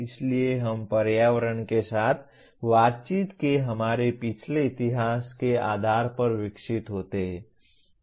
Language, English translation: Hindi, So we develop based on our past history of interacting with environment